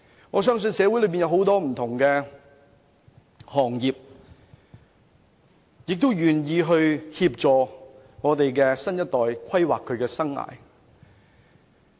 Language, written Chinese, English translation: Cantonese, 我相信社會上很多不同行業均願意協助我們的新一代規劃他們的生涯。, I believe that various sectors are willing to help our next generation plan their life . I also know that the Government has allocated resources to help students plan their life